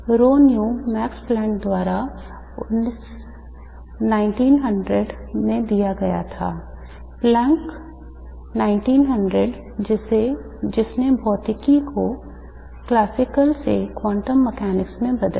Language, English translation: Hindi, Rho V was given by Max Planck in 1900 which changed the physics from classical to quantum mechanics